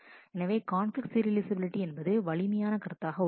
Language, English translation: Tamil, So, conflict serializability is a stronger notion